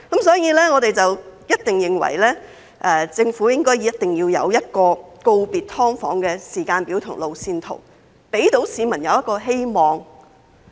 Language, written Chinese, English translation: Cantonese, 所以，我們認為政府一定要有一個告別"劏房"的時間表和路線圖，讓市民有希望。, So we think that the Government must have a timetable and roadmap for bidding farewell to SDUs so as to give hope to the public